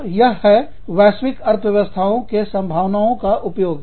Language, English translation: Hindi, So, this is exploiting, global economies of scope